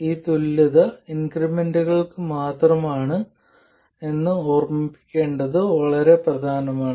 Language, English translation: Malayalam, So, it's extremely important to remember that this equivalence is only for the increments